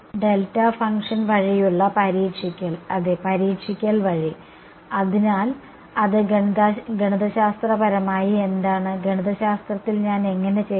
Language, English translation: Malayalam, Testing by delta function right testing by ; so, what is that mathematically how do I do in mathematically